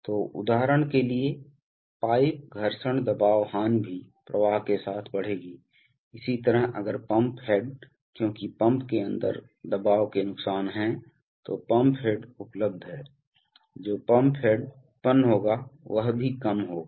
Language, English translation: Hindi, So for example, the pipe friction pressure loss will also rise with flow, similarly if the pump head because there are pressure losses inside the pump, so the pump head available, the pump head that will be generated will also be, will also be lower